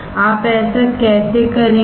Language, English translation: Hindi, How you will do that